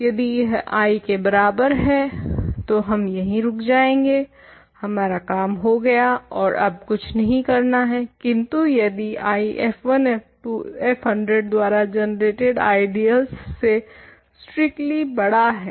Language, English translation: Hindi, So, if it is equal to I we stop we are done there is no more work to do, but if I is strictly bigger than the ideal generated by f 1 f 2 f 100